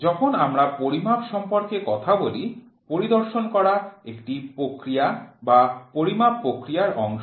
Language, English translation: Bengali, When we talk about measurements inspection is a process which is part of measurements process